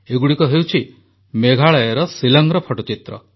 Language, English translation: Odia, These are pictures of Shillong of our Meghalaya